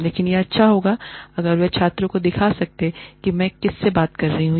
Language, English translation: Hindi, But, it will be nice, if they can show the students, what I am talking to